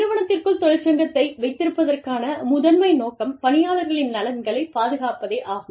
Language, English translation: Tamil, Since, the primary purpose of having a union, is to protect, the interests of the employees